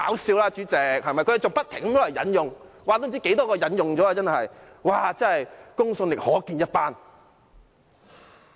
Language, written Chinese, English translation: Cantonese, 代理主席，他們還不停引用調查結果，不知引用了多少次，公信力可見一斑。, Deputy Chairman although opposition Members have kept on quoting the poll results many times it is obvious whether they are credible